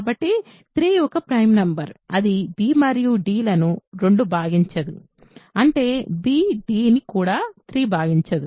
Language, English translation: Telugu, So, if 3 because 3 is a prime number, it does not divide b and d; that means, 3 does not divide b d also